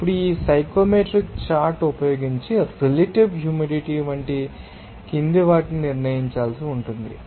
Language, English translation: Telugu, Now, using this psychometric chart provided to you, have to determine the following like what is the relative humidity